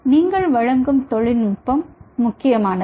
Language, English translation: Tamil, important is the technology, what you are offering